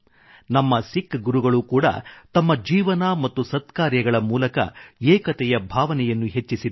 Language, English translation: Kannada, Our Sikh Gurus too have enriched the spirit of unity through their lives and noble deeds